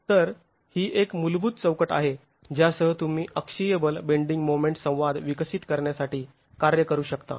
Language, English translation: Marathi, So this is a basic framework with which you can work to develop the axial force bending moment in traction